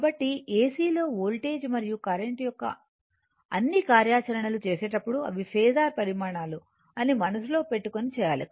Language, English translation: Telugu, So, in AC, right work all operation of voltage and current should be done keeping in mind that those are phasor quantities